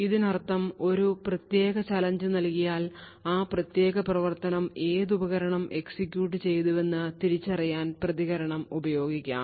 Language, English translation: Malayalam, So, what this means is that given a particular challenge I can use the response to essentially identify which device has executed that particular function